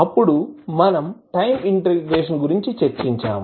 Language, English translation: Telugu, Then, we discussed about the time integration